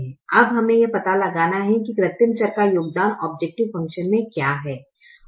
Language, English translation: Hindi, now we have to find out what is the contribution of the artificial variable in to the objective function